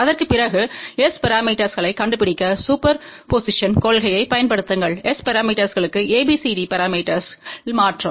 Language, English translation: Tamil, And after that apply the principle of superposition to find out the S parameters, by using ABCD parameter conversion to S parameters